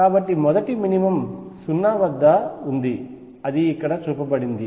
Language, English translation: Telugu, So, the first minimum exists at 0 which is shown right here